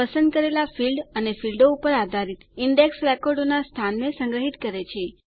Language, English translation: Gujarati, The Index stores the location of records based on the chosen field or fields